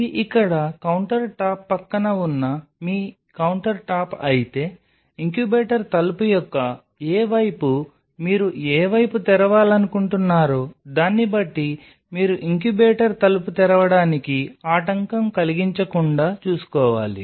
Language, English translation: Telugu, So, if this is your countertop along the side of the countertop out here, but you have to ensure that you are not obstructing the opening of the incubator door depending on which side of the incubator door, it in which side you want to open the incubator door